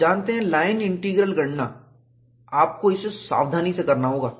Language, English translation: Hindi, You know, the line integral calculation, you have to do it carefully